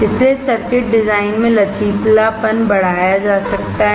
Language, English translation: Hindi, Flexibility in circuit design hence can be increased